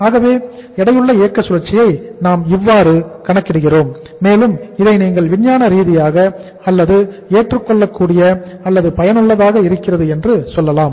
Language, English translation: Tamil, So this is how we calculate the weighted operating cycle and this is more you can call it as scientific or acceptable or useful